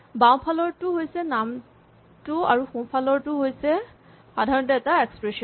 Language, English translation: Assamese, The left hand side is a name and the right hand side in general is an expression